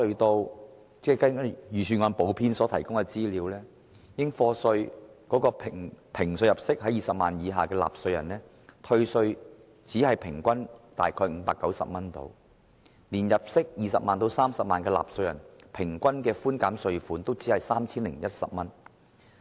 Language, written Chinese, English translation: Cantonese, 根據預算案補編的資料，應評稅入息20萬元以下的納稅人，平均可獲寬減的稅款只得590元；即使是入息20萬元至30萬元的納稅人，所獲寬減的稅款平均也只有 3,010 元。, According to the supplement to the Budget for taxpayers with an assessable income under 200,000 the average amount of tax reduction is only 590; even for those with an assessable income between 200,000 and 300,000 the average amount of tax reduction is only 3,010